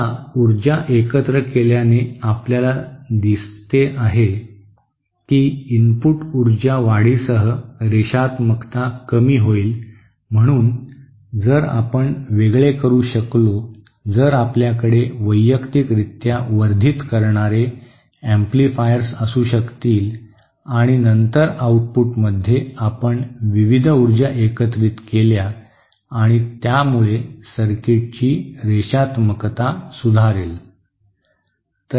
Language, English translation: Marathi, Now power combining seems as you see that the linearity will decrease with increase in input power, so if we could separate, if we could have individual amplifiers which which will individually amplify the signal, and then at the output we combine the various powers and that would increase the improve the linearity of the circuit